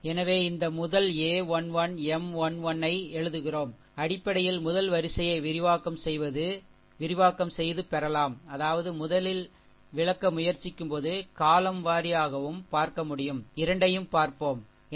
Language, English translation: Tamil, So, let us this first one we are writing a 1 1, M 1 1, right basically, can be obtained expanding along the first row; that means, along the first we are trying to explain, column wise also can be given both we will see, right